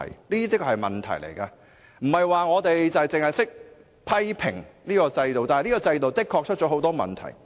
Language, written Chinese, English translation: Cantonese, 不是我們只想批評現行制度，而是現行制度的確有很多問題。, It is not that we want to criticize the present systems but the present systems are indeed riddled with many problems